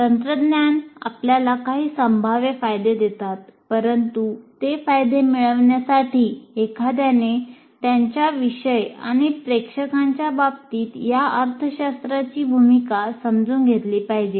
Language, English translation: Marathi, While technologies give you certain potential advantages, but to get those advantages, you have to understand the role of these technologies with respect to your particular subject and to your audience